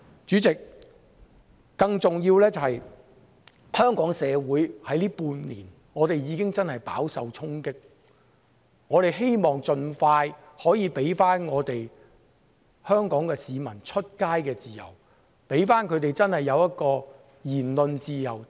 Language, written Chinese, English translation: Cantonese, 主席，更重要的是，香港社會在最近半年真的已經飽受衝擊，我們希望可以盡快回復市民外出的自由，讓他們真的擁有言論自由。, President more importantly Hong Kong society has been really affected over the past six months . We hope that the freedom of citizens to go out can be restored as soon as possible so that they really have freedom of speech